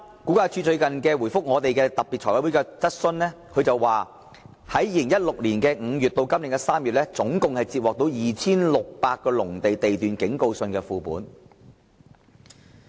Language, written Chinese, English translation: Cantonese, 估價署在最近回覆財務委員會特別會議的提問時表示，由2016年5月至今年3月期間，估價署共接獲涉及約 2,600 個農地地段的警告信副本。, Recently in reply to a question raised at the special Finance Committee meeting RVD advised that between May 2016 and March this year RVD has received copies of warning letters involving about 2 600 agricultural lots